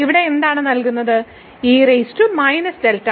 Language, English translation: Malayalam, So, what will remain here